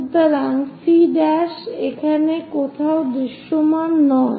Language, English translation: Bengali, So, it is not visible somewhere here C prime